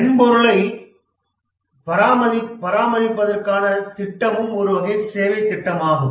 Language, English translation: Tamil, A project to maintain the software is also a type of services project